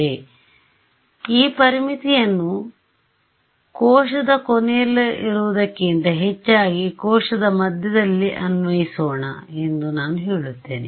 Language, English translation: Kannada, So, I say let me just apply this boundary condition in the middle of the cell rather than at the end of the cell